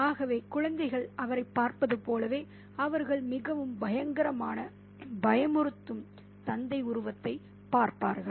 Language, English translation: Tamil, So, it's almost as if the children look at him as they would look at a really terrible, scary father figure